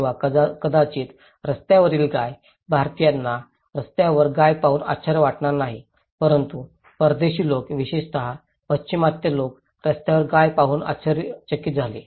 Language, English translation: Marathi, Or maybe cow on the road, Indians wonít be surprised seeing cow on the road but a foreign people particularly, Western people very surprised seeing cow on the road